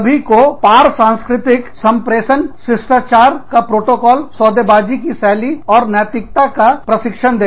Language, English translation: Hindi, Train everyone, in cross cultural communication, etiquette, protocol, negotiation styles and ethics